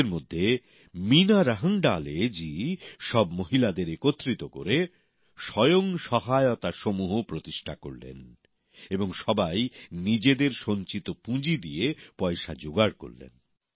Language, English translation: Bengali, One among these women, Meena Rahangadale ji formed a 'Self Help Group' by associating all the women, and all of them raised capital from their savings